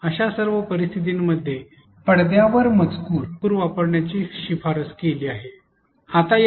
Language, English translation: Marathi, In all such scenarios use of on screen text is recommended